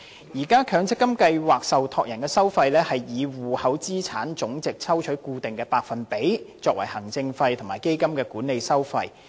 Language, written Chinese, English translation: Cantonese, 現時強積金計劃受託人的收費是從戶口資產總值抽取固定百分比，作為行政費和基金管理費。, At present fixed percentages of the total asset values of MPF accounts are collected by MPF scheme trustees as administration fees and fund management fees